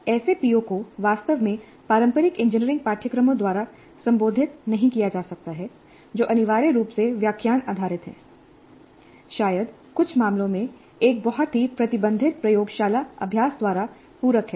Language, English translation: Hindi, And such POs cannot be really addressed by the traditional engineering courses which are essentially lecture based, probably supplemented in some cases by a very restricted laboratory practice